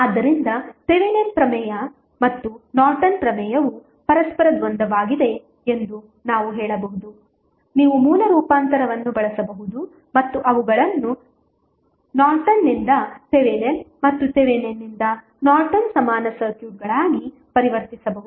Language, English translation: Kannada, So, we can say that the Thevenin theorem and Norton's theorem are dual to each other you can simply use the source transformation and convert them into the from Norton's to Thevenin and Thevenin's to Norton equivalent circuits